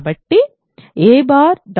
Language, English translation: Telugu, So, we have